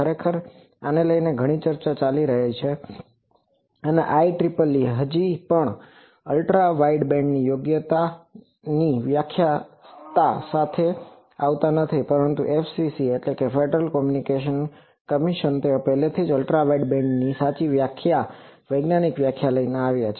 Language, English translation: Gujarati, Actually there is a lot of debate over these and IEEE is still now does not come up with the proper definition of a Ultra wideband, but FCC Federal Communication Commission they have already came up with a correct definition scientific definition of Ultra wideband